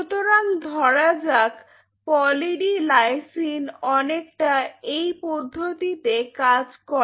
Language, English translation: Bengali, So, the way say Poly D Lysine works it is something like this